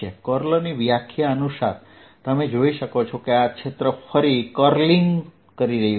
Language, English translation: Gujarati, by definition of curl, you can see this field is curling around